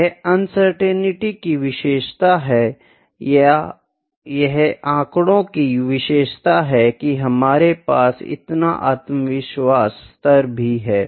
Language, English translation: Hindi, This is the characteristic of uncertainty or this is the characteristic of statistics as well that we have such as confidence level